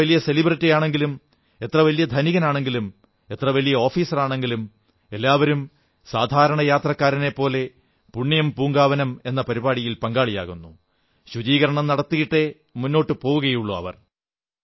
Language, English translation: Malayalam, However big a celebrity be, or however rich one might be or however high an official be each one contributes as an ordinary devotee in this Punyan Poonkavanam programme and becomes a part of this cleanliness drive